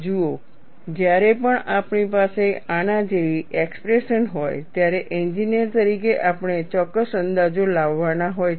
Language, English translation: Gujarati, See, whenever we have an expression like this, as engineers we have to bring in certain approximations